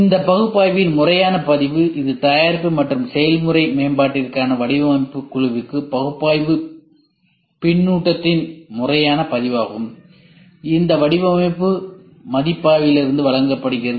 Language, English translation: Tamil, The formal record of that analysis it is a formal record of analysis feedback to the design team for product and process improvement is also given out of this design review